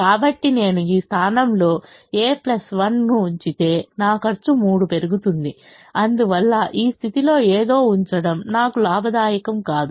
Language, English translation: Telugu, so if i put a plus one in this position, my cost is going to increase by three and therefore it is not profitable for me to put something in this position